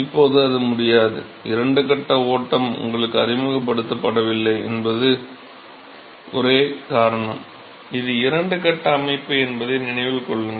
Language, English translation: Tamil, Now it is not possible to do that, the only reason is that you are not introduced to two phase flow, remember that it is a two phase system